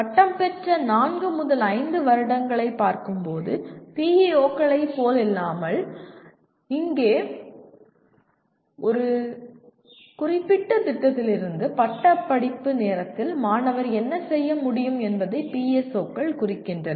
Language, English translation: Tamil, Unlike PEOs where we are looking at four to five years after graduation, here PSOs represent what the student should be able to do at the time of graduation from a specific program